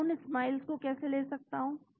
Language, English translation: Hindi, How do I get those Smiles